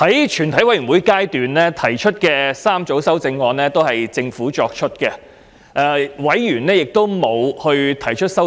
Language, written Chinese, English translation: Cantonese, 在全體委員會階段提出的3組修正案均由政府提出，委員並沒有提出任何修正案。, The three groups of amendments moved at the Committee stage are proposed by the Government and Members have not proposed any amendments